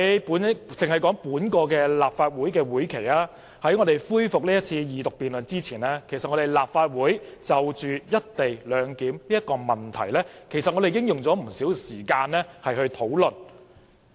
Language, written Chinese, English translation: Cantonese, 然而，在今個立法會會期，在恢復二讀辯論前，立法會已就"一地兩檢"議題用了不少時間討論。, However in this Legislative Session the Legislative Council had already spent a lot of time discussing the co - location issue before the resumption of the Second Reading debate